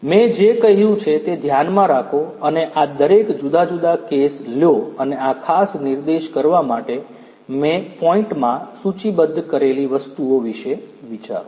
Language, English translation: Gujarati, Keep in mind whatever I have said that take up each of these different cases and think about the items that I have listed in the points to point out in this particular lecture